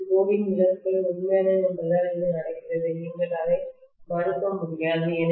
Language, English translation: Tamil, This is essentially because of the core losses is real it is happening you cannot negate it, right